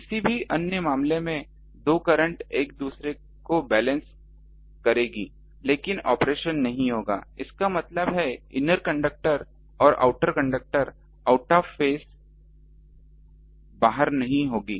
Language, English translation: Hindi, In any other case the two currents will balance each other, but the operations won't be; that means, ah inner conductor and outer conductor currents won't be out of phase